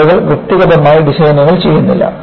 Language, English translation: Malayalam, People do not do design individually